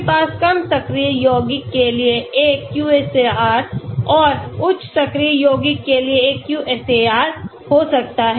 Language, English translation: Hindi, You could have one QSAR for low active compounds and one QSAR for high active compounds